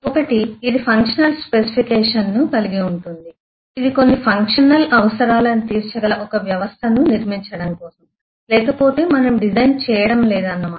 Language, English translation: Telugu, One is eh it will a design will have a functional specification that is it is for building some system which meet certain functional requirements otherwise we are not doing a design